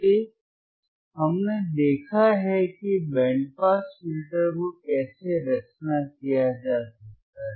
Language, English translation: Hindi, So, we have seen how the band pass filter can be designed